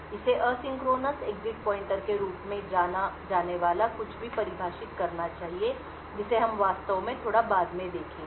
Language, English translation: Hindi, It should also define something known as asynchronous exit pointer which we will actually see a bit later